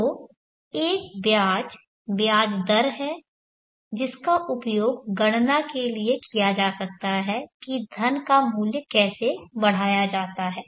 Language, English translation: Hindi, So there is an interest, interest rate which can be used for calculating for how the value of the money is grown